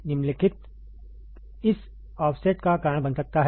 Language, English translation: Hindi, The following can cause this offset